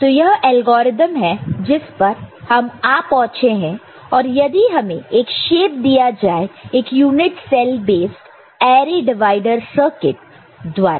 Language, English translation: Hindi, So, this is the algorithm which has been arrived at and given a, given a shape through a unit cell base array divider circuit ok